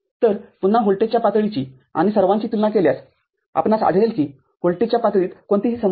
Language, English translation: Marathi, So, again if you compare the voltage levels and all we will find that there is no issues with the voltage levels